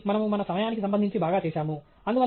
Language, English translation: Telugu, So, we have done perfectly well with respect to our time